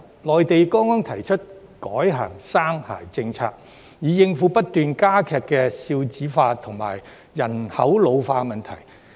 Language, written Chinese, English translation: Cantonese, 內地剛剛提出改行"三孩政策"，以應付不斷加劇的"少子化"和人口老化的問題。, The Mainland has just proposed to switch to the three - child policy to cope with the aggravating problems of low fertility and population ageing